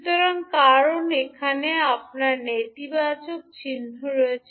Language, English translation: Bengali, So, this is because you have the negative sign here